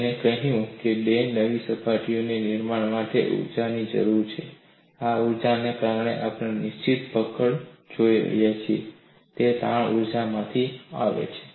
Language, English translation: Gujarati, He said, the formation of two new surfaces requires energy and this energy since we are looking at fixed grips comes from the strain energy